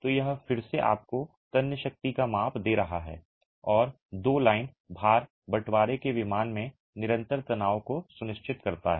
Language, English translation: Hindi, So, this is again giving you a measure of the tensile strength and the two line loads ensure constant tension in the splitting plane